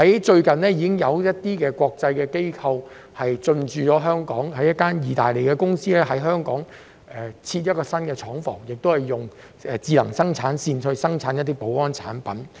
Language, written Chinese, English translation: Cantonese, 最近已有相關國際機構進駐香港，例如有一間意大利公司設立了新廠房，在香港運用智能生產線生產保安產品。, Recently relevant international organizations have set up their offices in Hong Kong . For example an Italian company has set up a new plant and new smart production lines in Hong Kong to produce security products